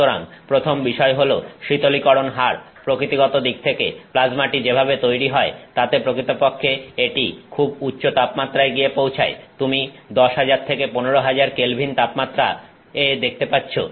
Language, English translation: Bengali, So, the first is the cooling rate, the plasma by nature of how it is formed actually attains very high temperatures; you are looking at 10,000 to 15,000K